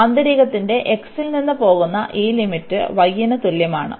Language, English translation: Malayalam, So, this limit of the inner one goes from x is equal to y